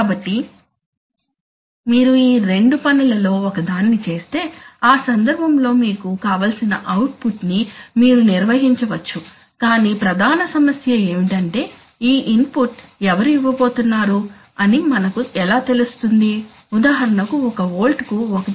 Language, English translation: Telugu, So you do one of these two things, in that case you can maintain whatever output you want but what is the problem, the main problem is that who is going to give this input, how do we know, by how much for example if we give 1